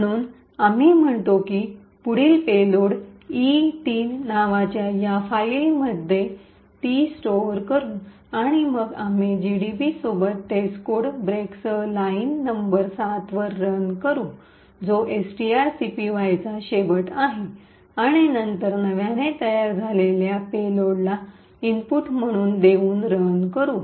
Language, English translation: Marathi, So, we say next payload and store it in this file called E3 and then we run GDB with test code break at line number 7 which comprises which is end of string copy and then run giving the newly formed payload as the input